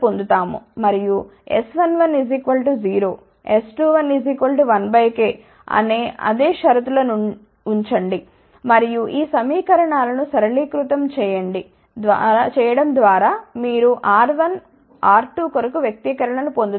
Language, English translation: Telugu, And, again put the same condition that S 1 1 should be equal to 0 and S 2 1 should be equal to 1 by k, by simplifying these equations you will get the expressions for R 1 R 2